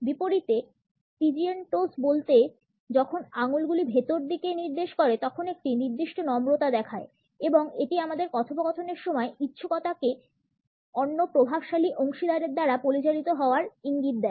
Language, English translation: Bengali, In contrast the pigeon toes when the toes are pointing inward shows a certain meekness and it signals our willingness to be led by the other dominant partner during our dialogues